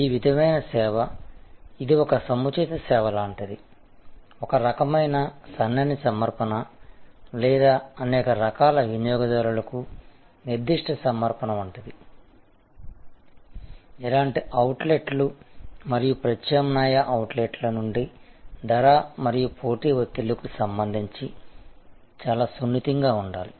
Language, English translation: Telugu, And this sort of service, which is more like a niche service, a kind of a narrow offering or specific offering for a large variety of customers, needs to be quite sensitive with respect to pricing and competitive pressures from similar outlets as well as alternative outlets, alternative food and beverage outlets